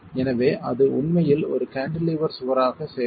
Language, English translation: Tamil, So it will actually behave as a cantilevered wall